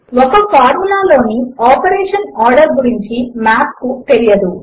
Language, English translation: Telugu, Math does not know about order of operation in a formula